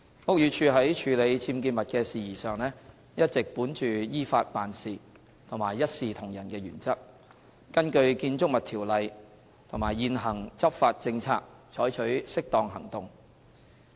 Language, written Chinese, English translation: Cantonese, 屋宇署在處理僭建物的事宜上，一直本着依法辦事和一視同仁的原則，根據《建築物條例》和現行執法政策採取適當行動。, In handling matters relating to unauthorized building works UBWs the Buildings Department BD has been following the principles of acting in accordance with the law and impartiality and takes appropriate actions pursuant to BO and the prevailing enforcement policy